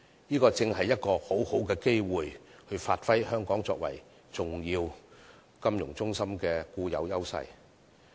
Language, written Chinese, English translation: Cantonese, 這正是一個很好的機會以發揮香港作為重要金融中心的固有優勢。, This precisely is a very good opportunity for Hong Kong to capitalize on our inherent advantages as an important financial centre